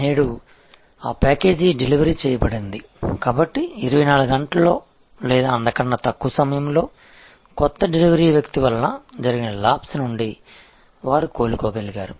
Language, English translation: Telugu, And today that package was delivered, so within 24 hours or less, they were able to recover from lapse caused by a new delivery person